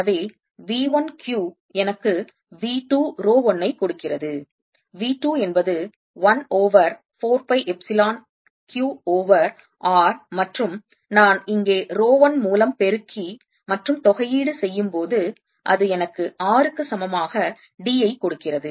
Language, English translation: Tamil, so v one, q gives me v two, rho one, v two is one over four pi, epsilon, q over r, and this, when i multiply by rho one here and integrate, gives me r equals d and therefore i get, in the other case, i get one over four pi, epsilon zero, q over d